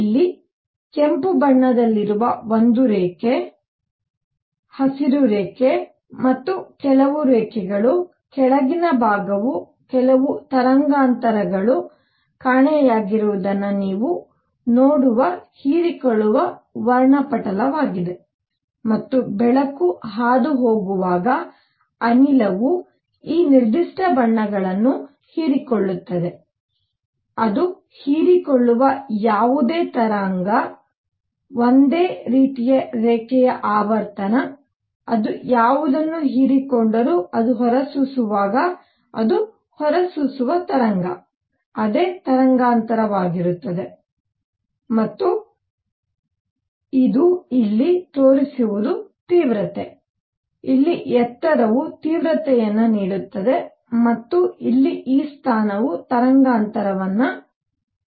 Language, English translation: Kannada, So, you see line; a line at red here, a green line and some other lines, the lower portion is the absorption spectrum where you see that certain wavelengths are missing and this is where the gas when light is passing through it has absorbed these particular colors; whatever it absorbs, the same kind of line same kind of frequency, whatever it absorbs, same wavelength it emits when it is emitting and what this shows here is the intensity, the height here gives intensity and this position here the position here gives wavelength